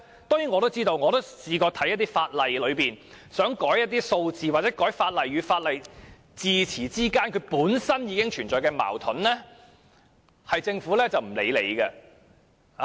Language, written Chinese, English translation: Cantonese, 當然，我曾看過一些法例，並想修改一些數字或法例與法例之間用詞上的矛盾，但政府卻不予理會。, Certainly after reading some pieces of legislation I wanted to change some of the numbers and remove the contradiction resulted from using different terms in different pieces of legislation but the Government ignored my requests